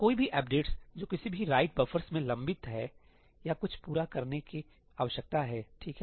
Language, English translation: Hindi, Any updates which are pending in any write buffers or something need to complete, right